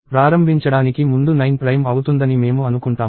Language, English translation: Telugu, We assume that, 9 is prime to start with